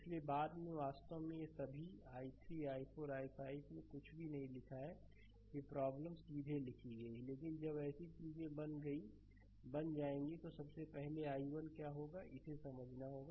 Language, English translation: Hindi, So, later actually we did not write all i 3 i 4 i 5 anything in the problem directly we have written, but when will make such things first thing is what will be the i 1 we have to understand look